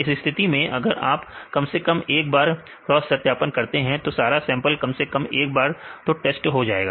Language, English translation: Hindi, In this case here if we do the cross validation at least one time; all the sample will be at least ones in a test